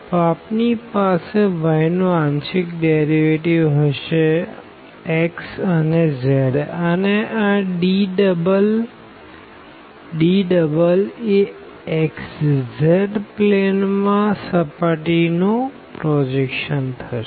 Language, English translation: Gujarati, So, we will have the partial derivatives of y with respect to x and z and then dx d and here this D double hat will be the projection of the surface in xz plane